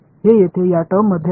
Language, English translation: Marathi, It is in this term over here